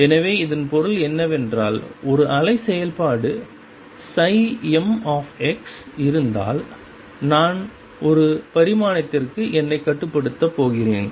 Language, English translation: Tamil, So, what we mean by that is, if there is a wave function psi m x and I am going to restrict myself to one dimension